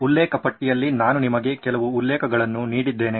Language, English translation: Kannada, I have given you a few references as well in the reference list